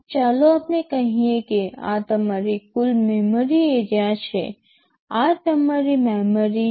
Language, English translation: Gujarati, Like let us say this is your total memory area, this is your memory